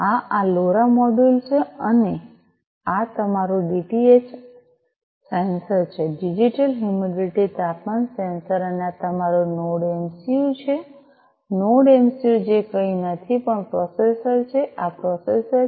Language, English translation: Gujarati, This is this LoRa module and this is your DHT sensor the digital humidity temperature sensor and this is your NodeMCU; NodeMCU which is nothing, but the processor right this is the processor